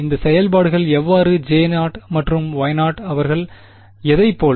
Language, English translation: Tamil, How do these functions J 0 and Y 0 what do they look like